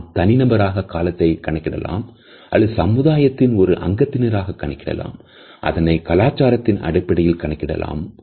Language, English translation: Tamil, We keep time in different ways we keep time as an individual, we keep time as a society we also have a cultural definition of time